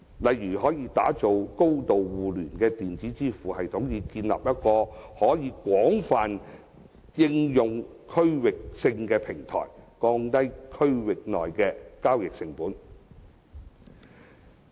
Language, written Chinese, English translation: Cantonese, 例如，打造高度互聯的電子支付系統，以建立一個可以廣泛應用的區域性平台，降低區內的交易成本。, For example through the interlinking of various electronic payment systems a widely used regional platform will be established thereby lowering the transaction costs within the region